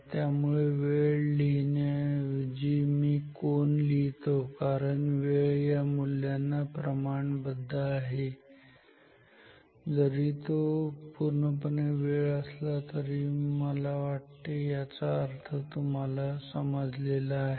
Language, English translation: Marathi, So, instead of writing time I am writing the angle because time will be proportional to this value although it is not strictly time, but I think the meaning is get to you